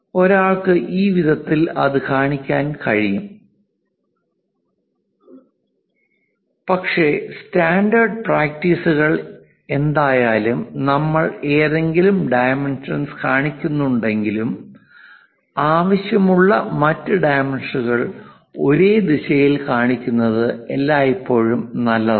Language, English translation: Malayalam, One can also show it in this way, but the standard practices because anyway we are showing one of the dimension, it is always good to show the other dimension required also in the same direction